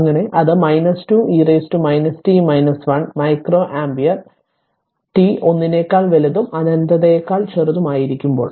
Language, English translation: Malayalam, So, it is minus 2 e to the power minus t minus 1 that is micro ampere for t greater than 1 less than infinity